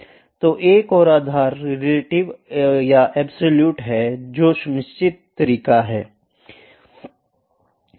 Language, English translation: Hindi, So, another base is relative or absolute, there are certain ways